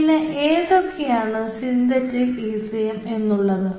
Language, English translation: Malayalam, and what are those synthetic ecms